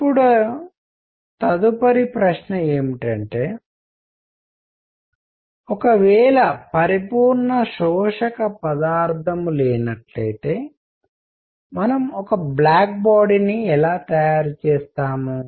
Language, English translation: Telugu, Now next question is; if there is no material that is a perfect absorber; how do we make a black body